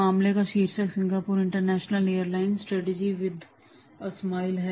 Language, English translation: Hindi, The title of the case is Singapore International Airlines Strategy with a Smile